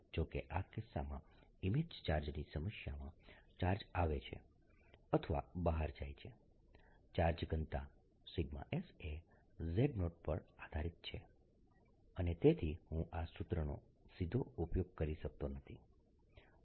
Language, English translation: Gujarati, however, notice, in this case, the image charge problem: as charge comes in or goes out, the charge density sigma depends on z zero and therefore i cannot use this formula directly